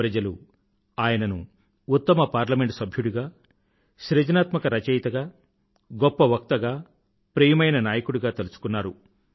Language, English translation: Telugu, People remembered him as the best member of Parliament, sensitive writer, best orator and most popular Prime Minister and will continue to remember him